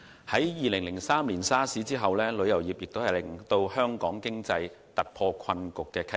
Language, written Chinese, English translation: Cantonese, 在2003年 SARS 後，旅遊業亦是令香港經濟突破困局的契機。, In the aftermath of the SARS outbreak in 2003 the tourism industry has also provided an opportunity for the Hong Kong economy to break through its economic deadlock